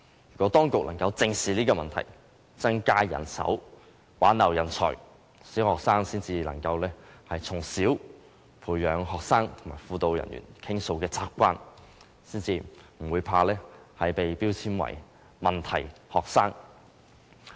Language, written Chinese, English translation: Cantonese, 如果當局能正視這個問題，增加人手，挽留人才，小學生才能從小培養向輔導人員傾訴的習慣，不會害怕被標籤為問題學生。, If the authorities can face up to the problem increase the number of these personnel and retain talents primary school students will gradually form the habit of sharing their feelings with the guidance personnel without having to worry that they will be labelled as problem students